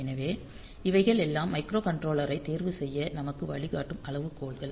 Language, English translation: Tamil, So, these are the criteria that will guide us to choose the microcontroller